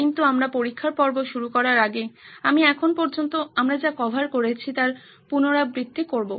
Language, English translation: Bengali, But before we begin on the test phase, I would like to recap what we have covered so far